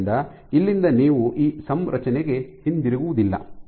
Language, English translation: Kannada, So, from here you do not go back to this configuration